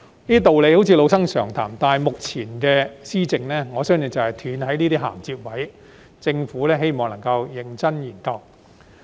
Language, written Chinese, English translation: Cantonese, 這些道理好像是老生常談，但目前施政就是斷了這些銜接位，希望政府認真研究。, Although these arguments may sound like cliché it is time for the Government to earnestly look into this broken link in its governance